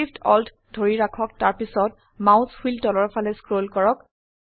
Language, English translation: Assamese, Hold Shift, Alt and scroll the mouse wheel downwards